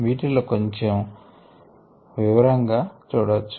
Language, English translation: Telugu, you can go through it in detail